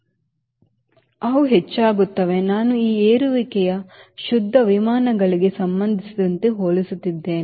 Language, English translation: Kannada, i am comparing this increment with respect to clean aircraft